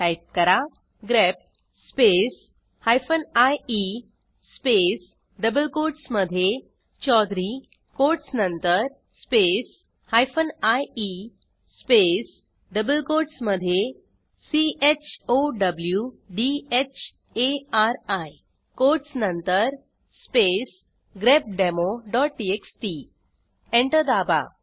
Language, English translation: Marathi, Type: grep space hyphen ie space in double quotes chaudhury after the quotes space hyphen ie space in double quotes chowdhari after the quotes space grepdemo.txt Press Enter